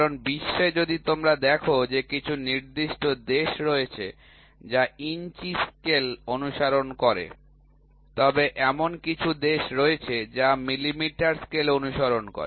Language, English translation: Bengali, Because, in the world if you see there are certain countries which follow inches scale, there are certain countries which follow millimetre scale, right